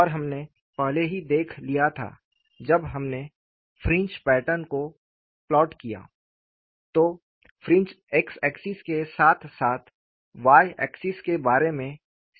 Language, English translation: Hindi, And, we had already looked at, when we plotted the fringe pattern, the fingers were symmetrical about the x axis, as well as the y axis; that means, fringes were straight